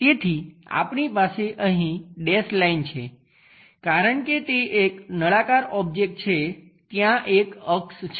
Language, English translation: Gujarati, So, a dashed line we have it because, it is a cylindrical object there is an axis